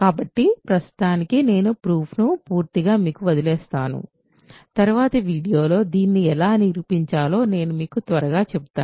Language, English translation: Telugu, So, I will leave the proof completely to you for now, in a later video I will maybe quickly tell you how to prove this